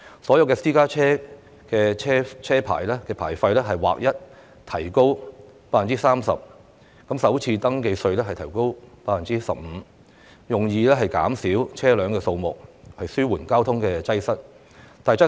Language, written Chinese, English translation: Cantonese, 所有私家車牌費劃一提高 30%， 首次登記稅提高 15%， 以減少車輛數目，紓緩交通擠塞。, The licence fees of all vehicle licences for private cars have been raised by 30 % and their FRT has been increased by 15 % with a view to reducing the number of vehicles and relieving traffic congestion